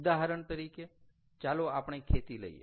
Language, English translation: Gujarati, ok, so lets take into account agriculture